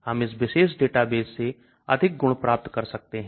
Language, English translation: Hindi, We may get more properties from this particular database